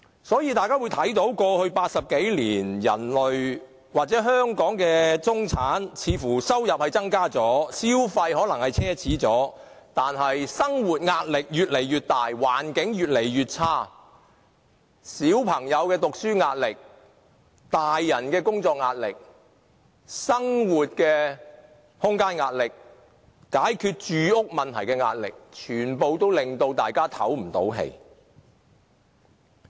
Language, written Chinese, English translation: Cantonese, 所以，過去80多年，大家看到人類或香港中產的收入似乎有所增加，消費亦可能奢侈了，但生活壓力卻越來越大，環境越來越差，小朋友的讀書壓力、成人的工作壓力、生活空間的壓力，以及解決住屋問題的壓力，全部皆令大家透不過氣。, Therefore over the past 80 - odd years we could see that the income of people or the middle class in Hong Kong seemed to have increased and they might spend more on luxurious items but their living pressure was getting heavy and the environment was getting poor . When the children have pressure in their studies the grown - ups have pressure in their work . There are also pressure in living space and pressure in resolving housing problem and we are all stifled by all sorts of pressure